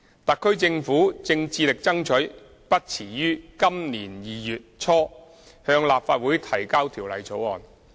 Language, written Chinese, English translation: Cantonese, 特區政府正致力爭取不遲於今年2月初向立法會提交條例草案。, The HKSAR Government is now actively working towards the aim of introducing the bill into the Legislative Council no later than early February this year